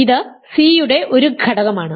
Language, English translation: Malayalam, So, it is an element of c